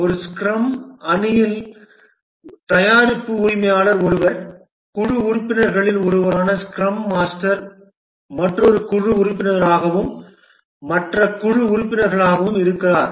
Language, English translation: Tamil, In a scrum team, there are the product owner who is one of the team members, the scrum master who is another team member and the other team members